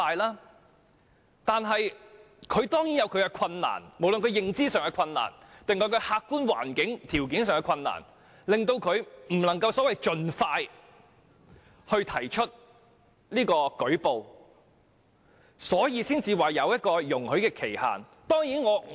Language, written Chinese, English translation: Cantonese, 然而，受害人當然有其困難，無論是認知上還是客觀環境條件上的困難，令他們無法盡快舉報，因而才會設立容許追溯的時效限制。, Nevertheless the victims certainly have their own difficulties be they cognitive or physical constraints rendering them unable to make a prompt report . It is only because of this that a time limit for retrospective complaints has been set